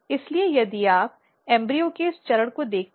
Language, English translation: Hindi, So, if you look at this stage of embryo